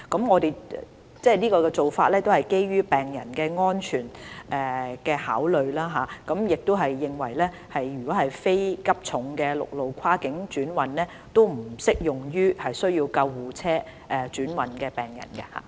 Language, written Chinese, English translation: Cantonese, 我們的做法是基於病人安全為考慮，並認為非急重病病人不適用於需要救護車跨境轉運的病人。, Patient safety is the basis of our consideration . We are of the view that cross - boundary ambulance transfer is not applicable to non - critical patients